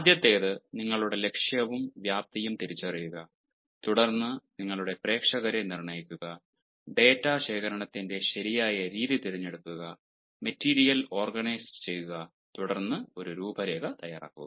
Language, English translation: Malayalam, the first is identify your purpose and scope and then determine your audience, choose the right method of data collection, organize the material and then make an outline